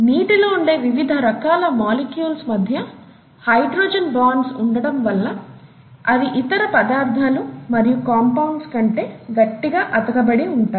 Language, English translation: Telugu, Because of the hydrogen bonds between the various molecules of water they tend to stick together a lot more than probably many other substances, many other compounds